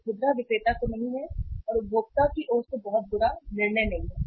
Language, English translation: Hindi, It is not of the sale to the retailer and not a very bad decision on the part of the consumer